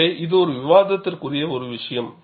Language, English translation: Tamil, So, this is a debatable point